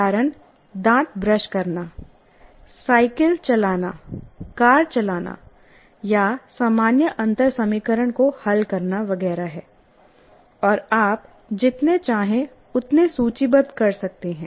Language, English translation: Hindi, Examples are brushing teeth, riding a bicycle, driving a car, or solving an ordinary differential equation, etc